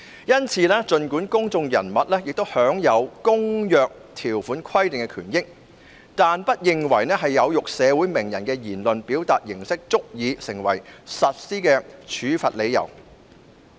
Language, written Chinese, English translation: Cantonese, 因此，儘管公眾人物也享有《公約》條款規定的權益，但委員會不認為有辱社會名人的言論的表達形式足以成為處罰的理由。, Thus the Committee disagrees that forms of expression considered to be insulting to a public figure are sufficient to justify the imposition of penalties albeit public figures may also benefit from the provisions of the Covenant